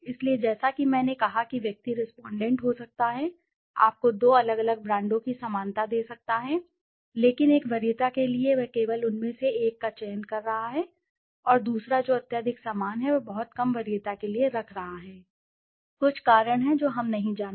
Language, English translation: Hindi, So as I said the person could be respondent could be giving you a similarity of two different brands, but while getting for a preference he is only selecting one of them and the second one which is highly similar he is keeping at a very low preference for some reason, we don t know